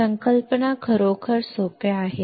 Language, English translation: Marathi, Concepts are really easy